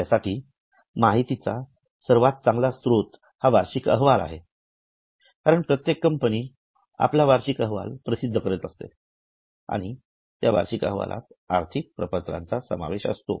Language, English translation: Marathi, The best source of information for you is a annual report because every company comes out with a annual report and that annual report has financial statements